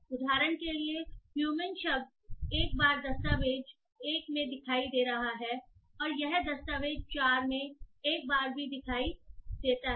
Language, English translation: Hindi, For example the word human is appearing once in document one and it also appears one time in document 4